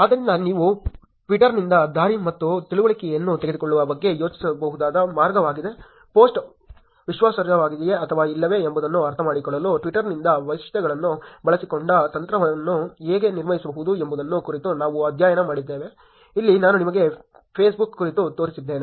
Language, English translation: Kannada, So, that is the way you could think about taking way and understandings from twitter, where we studied about how to build techniques using the features from twitter to create an understanding of whether the post is a credible or not, here I showed you about Facebook